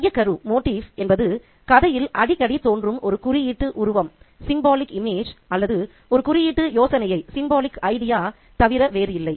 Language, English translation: Tamil, Motif is nothing but a symbolic image or idea that appears frequently in the story